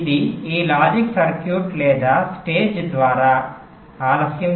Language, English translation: Telugu, is the delay through this logic circuitry or stage